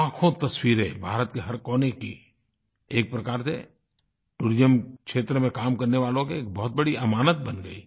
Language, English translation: Hindi, Lakhs of photographs from every corner of India were received which actually became a treasure for those working in the tourism sector